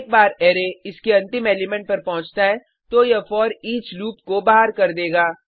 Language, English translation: Hindi, Once the array reaches its last element, it will exit the foreach loop